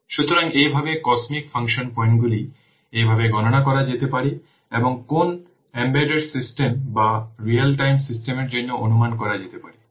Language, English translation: Bengali, So in this way the cosmic function points can be calculated in this way the cosmic function points can be computed, can be estimated for any embedded system or real time system